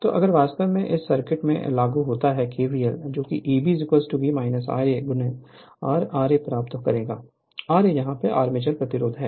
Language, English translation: Hindi, So, if you apply in this circuit kvl you will get E b is equal to V minus I a into R plus r a, r a is the armature resistance right